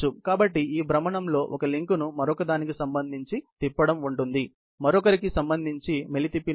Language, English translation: Telugu, So, this rotation involves twisting of one link with respect to another; hence, the name twisting